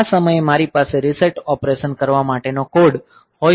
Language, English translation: Gujarati, So, at this point I can have the code for doing the reset operation